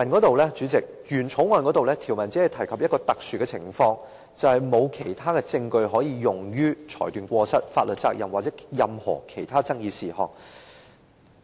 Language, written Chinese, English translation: Cantonese, 代理主席，原《條例草案》的條文中，只提及一種特殊的適用情況，即沒有其他的證據可用於裁斷過失、法律責任或任何其他爭議事項。, Deputy President the provision under the original Bill mentions only a particular applicability where there is no other evidence available for determining the fault the legal responsibility or other issues under dispute